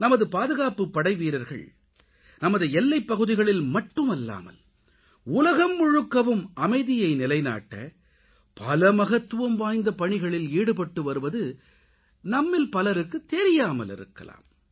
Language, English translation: Tamil, Many of us may not be aware that the jawans of our security forces play an important role not only on our borders but they play a very vital role in establishing peace the world over